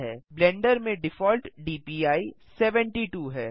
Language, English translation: Hindi, the default DPI in Blender is 72